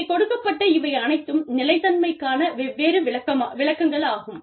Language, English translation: Tamil, Now, these are the different interpretations of sustainability